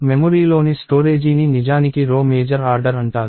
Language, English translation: Telugu, And the storage in the memory is actually what is called row major order